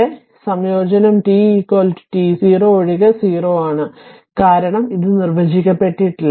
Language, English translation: Malayalam, So, the integrate is 0 except at t is equal to t 0 because it is undefined